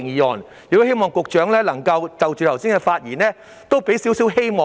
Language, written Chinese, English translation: Cantonese, 我亦希望局長能夠就剛才議員的發言，給予我們一點希望。, I also hope that the Secretary can have regard to Members speeches just now and give us a ray of hope